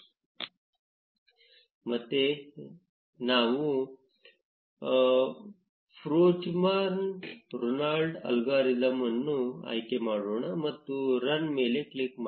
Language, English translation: Kannada, Let us again select the Fruchterman Reingold algorithm and click on run